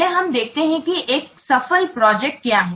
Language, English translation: Hindi, See first let's see what makes a successful project